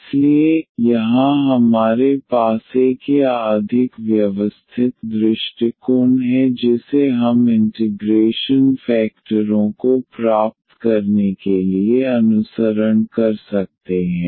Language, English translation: Hindi, So, here we have a more or rather systematic approach which we can follow to get the integrating factors